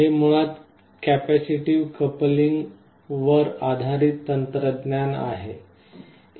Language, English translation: Marathi, This is basically a technology based on capacitive coupling